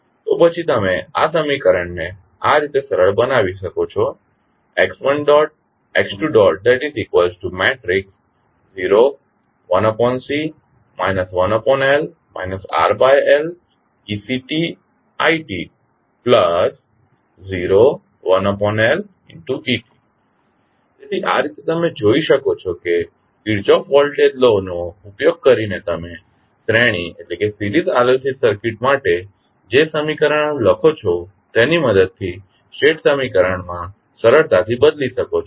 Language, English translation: Gujarati, So, in this way you can see that, with the help of the equations which you write for the series RLC circuit using Kirchhoff Voltage Law can be easily transformed into state equation